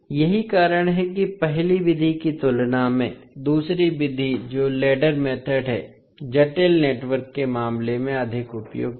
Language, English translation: Hindi, So that is why compared to first method, second method that is the ladder method is more appropriate in case of complex networks